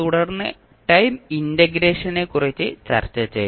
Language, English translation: Malayalam, Then, we discussed about the time integration